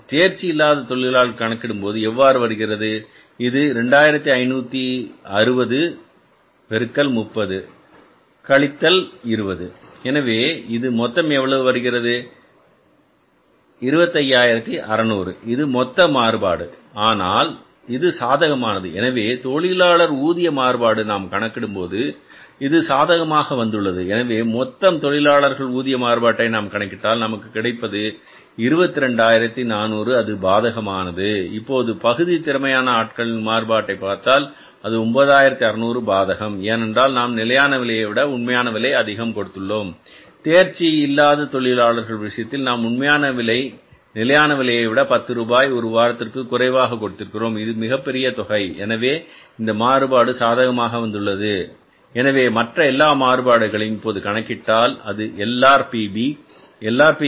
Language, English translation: Tamil, If you calculate now for the unskilled, if you calculate for the unskilled so this will come out as how much this will be something like 2560 into 30 minus 20 so it is the how much it comes out as this comes out as 25,600s so the total variance we have calculated they all are this is favorable this is favorable so we have calculated these say labor rate of pay variances and in this case this has come out as 22,400 as adverse in the semi skilled this has come up as if you take this semi skilledskilled, this is the variance, semi skilled is 9,600 adverse because actual is more than the standard rate